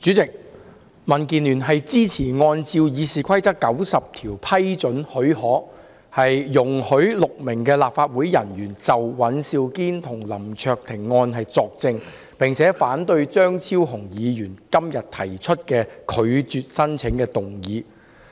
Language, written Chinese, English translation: Cantonese, 代理主席，民主建港協進聯盟支持根據《議事規則》第90條給予許可，容許6名立法會人員就尹兆堅議員及林卓廷議員的案件作證，並反對張超雄議員今天提出的"拒絕給予許可"的議案。, Deputy President the Democratic Alliance for the Betterment and Progress of Hong Kong supports the granting of leave under Rule 90 of the Rules of Procedure RoP for six officers of the Legislative Council to give evidence in respect of the case of Mr Andrew WAN and Mr LAM Cheuk - ting and oppose the motion That the leave be refused proposed by Dr Fernando CHEUNG today